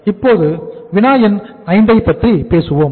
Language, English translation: Tamil, Now let us talk about the problem number 5